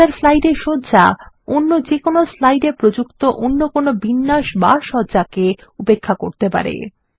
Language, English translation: Bengali, The settings in the Master slide overrides any formatting changes or layouts applied to slides